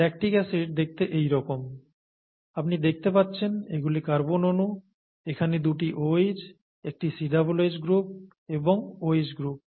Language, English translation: Bengali, This is how lactic acid looks like, you see here these are the carbon atoms, here there are two OHs here, this is a COOH group here and this is an OH group here, okay, there are, this is a COOH and a OH group here